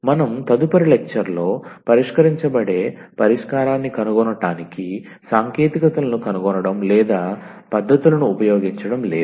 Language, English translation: Telugu, So, we are not finding the techniques or using any techniques to find the solution that will be discussed in the next lecture